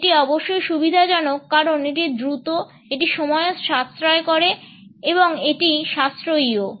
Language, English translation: Bengali, It is convenient of course, it is quick also it saves time and it is cost effective also